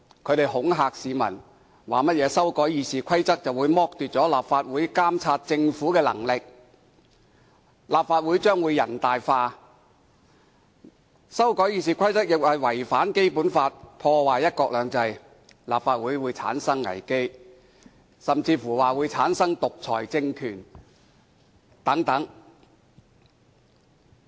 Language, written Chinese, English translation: Cantonese, 他們恐嚇市民，指修改《議事規則》會剝奪立法會監察政府的權力，立法會將會"人大化"，又聲稱修改《議事規則》違反《基本法》，破壞"一國兩制"，立法會會出現危機，甚至說香港會產生獨裁政權。, They threaten that amending RoP will deprive the legislature of its power to monitor the Government such that the Legislative Council will be assimilated to the National Peoples Congress . They also claim that amending RoP contravenes the Basic Law and ruins one country two systems thus the Legislative Council will be in crisis . They even say that Hong Kong will be under a dictatorial regime